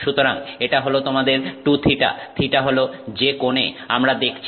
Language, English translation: Bengali, So, that is your 2 the angle that we are looking at